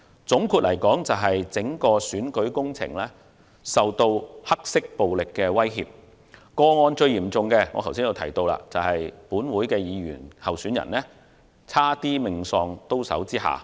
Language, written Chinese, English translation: Cantonese, 總括來說，整個選舉工程遭受黑色暴力的威脅，其中最嚴重的個案是有屬本會議員的區選候選人險些命喪刀手之下。, To sum it up the entire electioneering campaigns have been subject to the threat of black violence and the most serious case is the incident in which a Legislative Council Member who is also a candidate running in the DC Election this year was almost killed in a knife attack